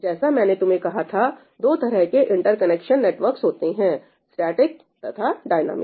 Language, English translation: Hindi, typically there are 2 kinds of interconnection networks one is static